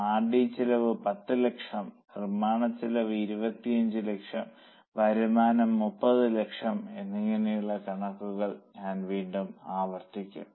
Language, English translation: Malayalam, R&D cost is 10 lakhs, manufacturing cost is 25 lakhs, the revenue likely to be generated is 30 lakhs